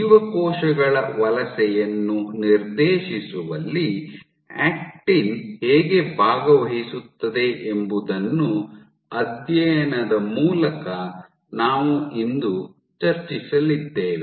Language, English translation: Kannada, So, what we are going to discuss today is to study how actin participates in directing migration of cells